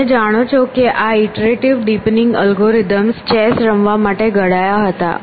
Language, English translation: Gujarati, You know this iterative deepening algorithm they were devised in a chess playing situation